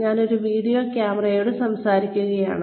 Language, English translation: Malayalam, I am just talking to a video camera